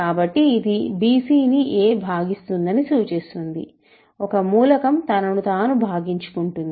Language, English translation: Telugu, So, a equal to bc implies a divides bc, an element divides itself